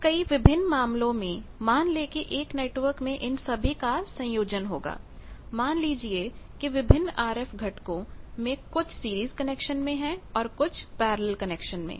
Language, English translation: Hindi, Then in various cases suppose in a network we will have combination of all these, that suppose some series connections of various RF components then a parallel combination etcetera